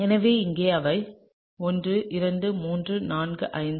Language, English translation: Tamil, So, you have 1 and then 2 3 4 5 and 6